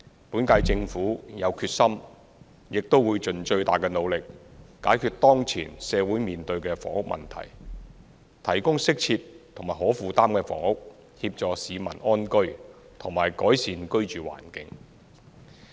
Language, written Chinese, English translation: Cantonese, 本屆政府有決心，亦會盡最大努力，解決當前社會面對的房屋問題，提供適切及可負擔的房屋，協助市民安居和改善居住環境。, The incumbent Government is determined and will try our very best to resolve the present housing problem faced by the community through providing proper and affordable housing to assist the public in living with security and improving their living environment